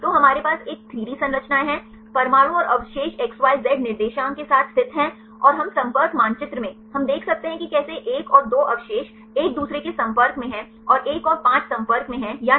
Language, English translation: Hindi, So, we have a 3D structures the atoms and the residues are located with the xyz coordinates right and we in the contact map, we can see how residue 1 and 2 are in contact with each other 1 and 5 are in contact or not